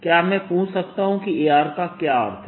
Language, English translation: Hindi, can i ask what does a mean